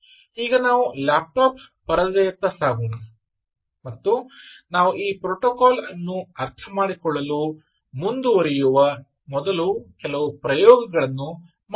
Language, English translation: Kannada, so now lets shift to the laptop screen and do a few experiments before we move on to understand this protocol even better as we go along